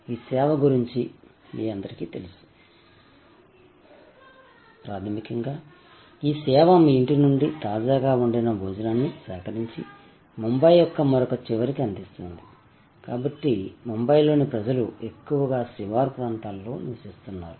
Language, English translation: Telugu, All of you know about this service, basically this service collects freshly cooked lunch from your home and delivers to the other end of Bombay, so people in Bombay mostly live in the suburbs